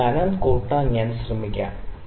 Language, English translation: Malayalam, So, let me try to increase the thickness this one